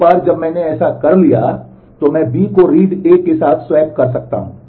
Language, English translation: Hindi, Once I have done that, then I can swap read B with read A